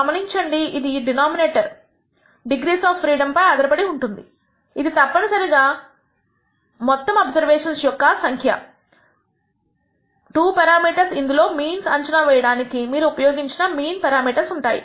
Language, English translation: Telugu, Notice that that depends on the denominator degrees of freedom which is essentially total number of observations minus 2 parameters which are mean parameters that you have used up to estimate the means